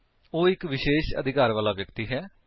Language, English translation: Punjabi, He is a special person with extra privileges